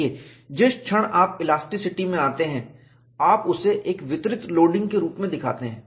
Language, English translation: Hindi, See, the moment you come to elasticity, you show that as a distributed loading